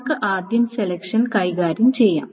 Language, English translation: Malayalam, So for selections, let us first handle selections